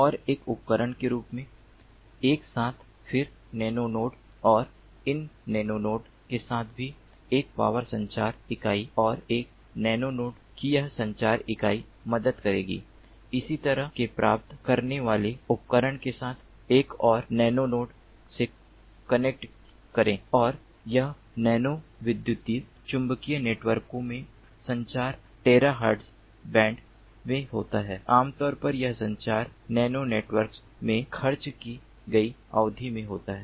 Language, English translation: Hindi, then nano node, and this nano node also has a nano communication unit, and this communication unit of one nano node would help to connect with another ah, ah nano node with a similar kind of receiving device, and this communication in nano electromagnetic networks takes place ah, ah, ah in the terahertz band